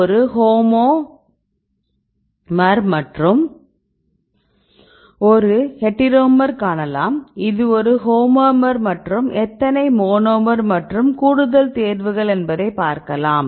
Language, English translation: Tamil, So, we can see this is a heteromer, this is a homomer right and you can see how many monomer and more choices